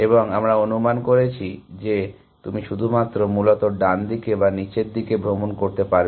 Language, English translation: Bengali, And we are assuming that you can only travel either to the right or down essentially